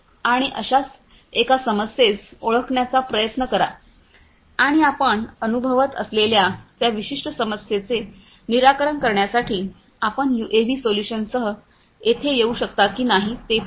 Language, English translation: Marathi, And try to identify one such challenge one such problem and see whether you can have you can come up with a UAV solution to basically address that particular problem that you are experiencing